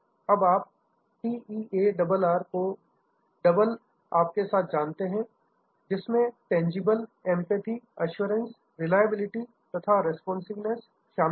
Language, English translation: Hindi, You know TEAR with double R, this is a tangible, empathy, assurance, reliability and responsiveness